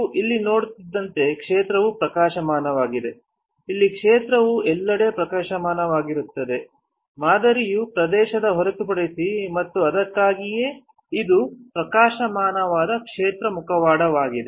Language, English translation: Kannada, As you see here the field is bright, here the field is bright everywhere the except around the pattern area and which is why it is a bright field mask